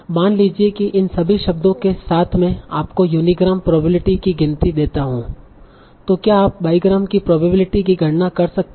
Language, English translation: Hindi, So suppose I give you the unigram counts also for all these words, can you compute the bigram probabilities